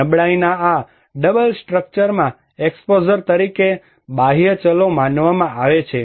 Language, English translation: Gujarati, External variables is considered in this double structure of vulnerability as exposure